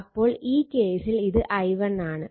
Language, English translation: Malayalam, So, i1 minus i 2 right